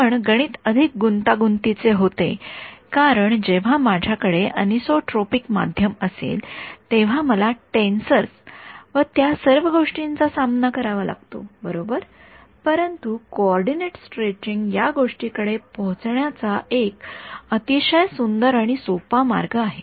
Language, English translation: Marathi, But the math becomes more complicated because the moment I have anisotropic medium then I have to start dealing with tensors and all of that right, but this coordinates stretching is a very beautiful and simple way of arriving at this thing ok